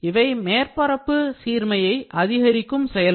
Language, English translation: Tamil, So, these are the techniques to improve the surface finish